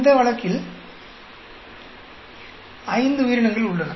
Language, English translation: Tamil, In this case there are five organisms